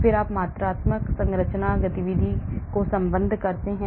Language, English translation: Hindi, That is quantitative structure activity relationship